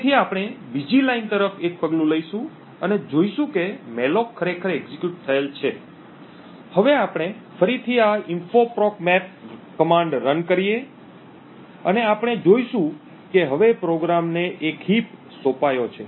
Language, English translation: Gujarati, So we will single step to another line and see that the malloc has actually been executed, we can now run this info proc map again and we would see that a heap has now been assigned to the program